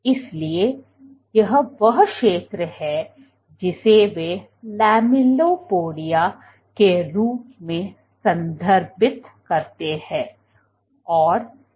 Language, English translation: Hindi, So, this is the zone which they refer as lamellipodia